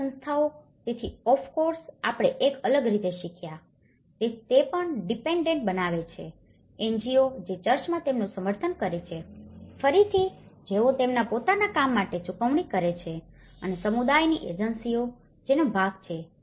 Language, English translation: Gujarati, State institutions, so of course, we learnt in a different way that that is also creating a dependency, NGOs, who is supporting them in the church, again, who is paying for their own work and the community agencies, who are being part of this course